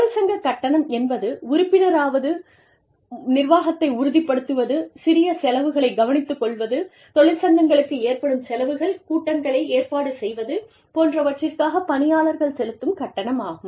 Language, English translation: Tamil, Union dues are the fees, that you pay, to become a member, to ensure the administration, to take care of small expenses, incurred by unions, in organizing meetings, etc